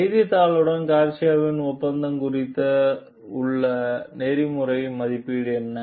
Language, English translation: Tamil, What is your ethical evaluation of Garcia s agreement with the newspaper